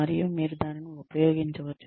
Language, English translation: Telugu, And, you can use that